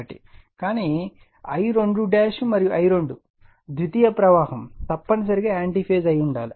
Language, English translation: Telugu, But I 2 dash and I 2 the secondary current must been anti phase